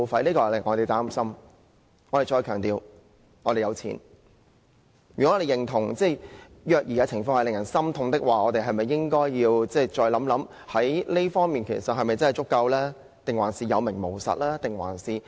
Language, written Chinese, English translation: Cantonese, 如果我們認同虐兒的情況令人心痛，是否應該要再考慮這方面的資源是否真的足夠？還是有名無實？, If we acknowledge that the child abuse cases were heart - breaking should we not reconsider whether relevant resources are adequate?